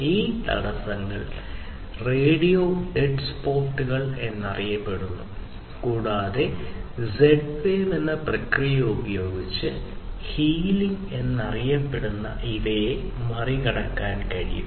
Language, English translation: Malayalam, And these obstructions are known as radio dead spots, and these can be bypassed using a process in Z wave which is known as healing